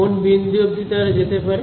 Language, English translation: Bengali, Till what point can they go